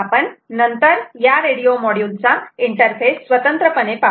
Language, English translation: Marathi, we will discuss that interface to this radio module separately